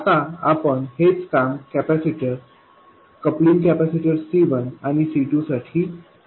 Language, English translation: Marathi, Now we will do the same thing for the capacitors, coupling capacitors C1 and C2